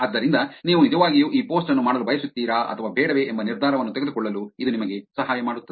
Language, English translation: Kannada, So, this actually helps you to make a decision on whether you want to actually do this post or not